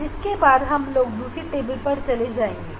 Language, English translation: Hindi, And, then we will go for the second table